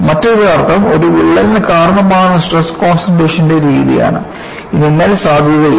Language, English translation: Malayalam, Other meaning is the methodology of stress concentration to ascribe to a crack, no longer is valid